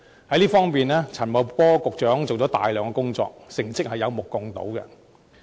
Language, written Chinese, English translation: Cantonese, 在這方面，陳茂波局長做了大量工作，成績有目共睹。, In this connection a lot of work has been done by Secretary Paul CHAN and the achievements are obvious to all